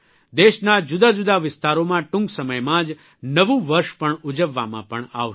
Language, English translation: Gujarati, New year will also be celebrated in different regions of the country soon